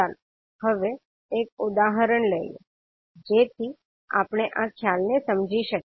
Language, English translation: Gujarati, Now let us take one example so that we can understand the concept